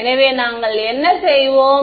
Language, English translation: Tamil, So, what will we do